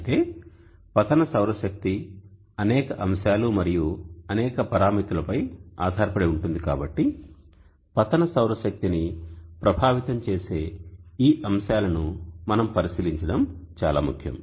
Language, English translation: Telugu, However this instant solar energy is dependent on many factors and many parameters, so it is important that we have a look at these factors that affect the solar incident solar energy H